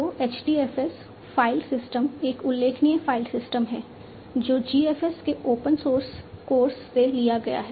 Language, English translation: Hindi, So, HDFS file system is a notable file system derived from the open source course of GFS